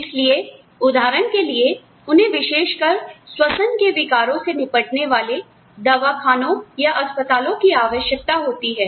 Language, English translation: Hindi, So, they need to have a dispensary, or a hospital, that specializes in, dealing with, respiratory disorders, for example